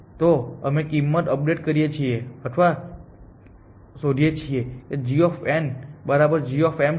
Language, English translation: Gujarati, So, we update the value of or the compute value of g m is equal to g of n